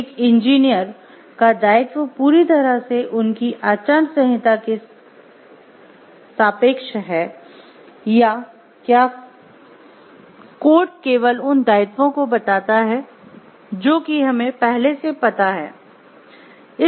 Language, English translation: Hindi, So, that engineer’s obligation are entirely relative to their code of ethics or does the code simply record the obligations that already exist